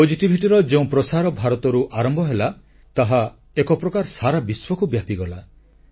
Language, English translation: Odia, In a way, a wave of positivity which emanated from India spread all over the world